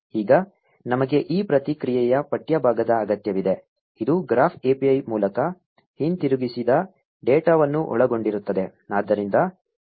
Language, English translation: Kannada, Now we need a text part of this response, which will contain the data returned by the Graph API